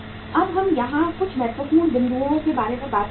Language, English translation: Hindi, Now let us talk about certain important points here